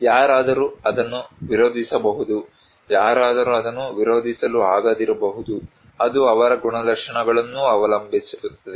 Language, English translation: Kannada, Somebody can resist that one, somebody cannot resist that one, it depends on their characteristics also